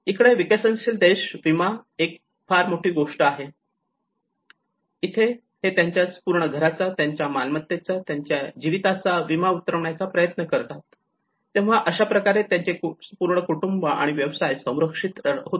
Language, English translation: Marathi, Here in a developing countries, insurance is one big thing you know that is where the whole they try to insure their home, their properties, their life so, in that way the family is protected, the business is protected